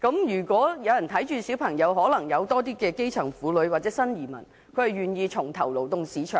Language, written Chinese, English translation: Cantonese, 如果子女有人照顧，便可能會有較多基層婦女或新移民願意重投勞動市場。, More grass - roots women or new immigrants may be willing to re - enter the labour market if their children are taken care of